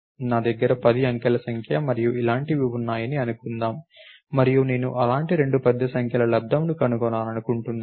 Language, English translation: Telugu, Let us say I have a 10 digit number and something like this and I want to find the product of two such large numbers